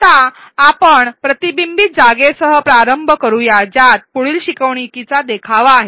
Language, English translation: Marathi, Let us begin with a reflection spot which contains the following learning scenario